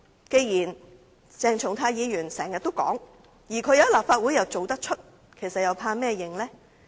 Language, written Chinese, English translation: Cantonese, 既然鄭松泰議員經常這樣說話，而他在立法會又做得出，為甚麼害怕承認呢？, Since Dr CHENG Chung - tai often makes these remarks and he did put his words into action in the Legislative Council why should he be afraid of admitting to it?